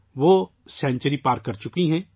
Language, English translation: Urdu, She has crossed a century